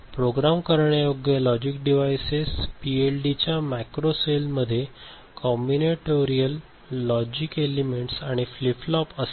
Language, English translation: Marathi, Macro cell of a programmable logic device PLD consists of combinatorial logic elements and flip flop